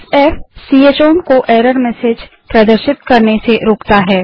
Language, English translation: Hindi, f: Prevents ch own from displaying error messages